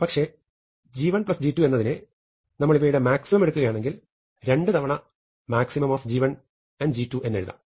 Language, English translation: Malayalam, But g 1 plus g 2 if I take the maximum of those then 2 times the maximum will be bigger than that